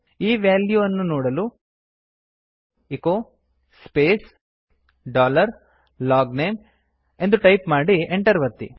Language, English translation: Kannada, In order to see the value type echo space dollar LOGNAME and press enter